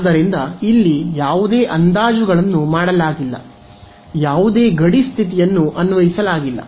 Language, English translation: Kannada, So, this is the point where no approximations have been made, no boundary condition has been applied yeah